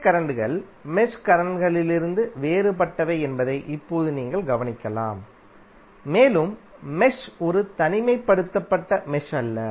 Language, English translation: Tamil, Now you can notice that the branch currents are different from the mesh currents and this will be the case unless mesh is an isolated mesh